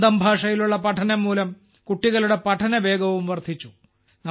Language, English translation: Malayalam, On account of studies in their own language, the pace of children's learning also increased